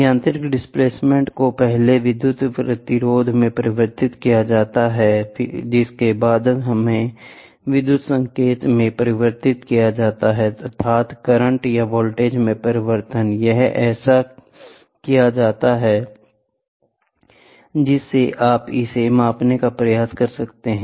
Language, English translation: Hindi, The mechanical displacement is first converted into a change in the electric resistance which is then converted into an electrical signal, that is, change in the current or the voltage, it is done so, that you can try to measure it